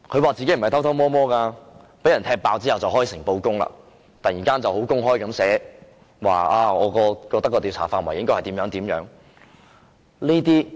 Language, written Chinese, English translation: Cantonese, 他說他不是偷偷摸摸，被人"踢爆"後便開誠布公，突然公開表示他覺得調查範圍應該怎樣。, He said that he was not acting secretly but he only became frank and honest after his clandestine acts were uncovered . All of a sudden he openly expressed his views on the scope of inquiry